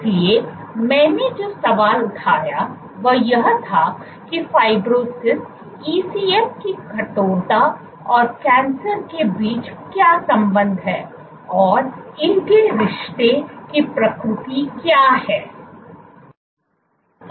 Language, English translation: Hindi, So, the question I framed was what is the relationship between fibrosis, ECM stiffness and cancer, what is the nature of the relationship